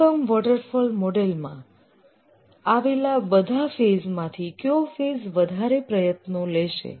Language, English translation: Gujarati, Out of all the phases in the classical waterfall model, which phase takes the most effort